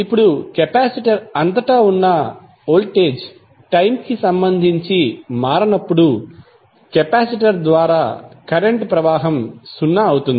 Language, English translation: Telugu, Now, when the voltage across the capacitor is is not changing with respect to time the current through the capacitor would be zero